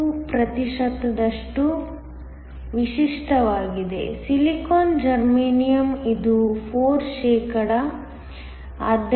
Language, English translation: Kannada, 2 percent, Silicon germanium it was 4 percentage